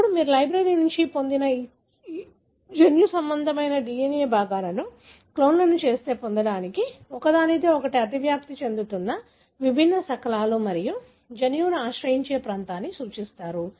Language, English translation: Telugu, Now you use this genomic DNA fragment that you got from the library to get the clones, different fragments that overlap with each other and representing the region which could possibly harbour the gene